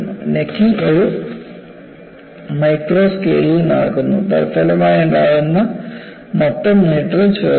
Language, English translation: Malayalam, The necking takes place at a micro scale, and the resulting total elongation is small